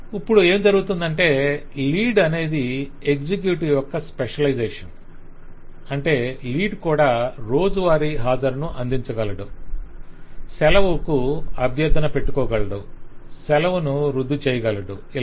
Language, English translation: Telugu, Now what happens is, as we have seen, that lead is a specialization of executive, which mean that the lead will also be able to provide daily attendance, will also be able to provide request leave, will also be able to cancel leave and so on